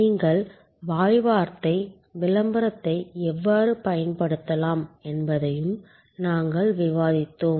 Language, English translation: Tamil, We have also discussed how you can use word of mouth, publicity